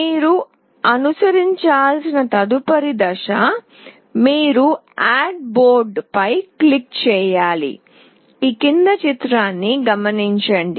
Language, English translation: Telugu, The next step you have to follow is: you click on Add Board